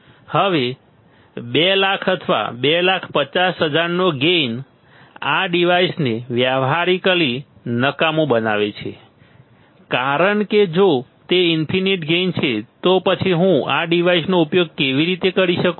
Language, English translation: Gujarati, Now, a gain of 200,000 or 250,000 makes this device practically useless right because if it is infinite gain, then how can I use this device